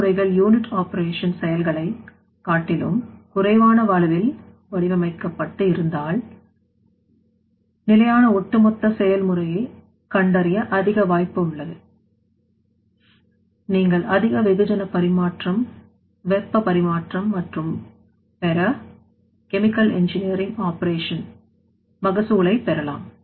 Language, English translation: Tamil, So, if the processes are designed at a scale lower than the unit operation scales there is an increased chance of finding a more sustainable overall process, like in that case you can get the more mass transfer, more heat transfer and other chemical engineering operation yield